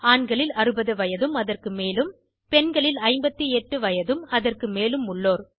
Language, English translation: Tamil, Men it is 60 years and above, for women it is 58 years and above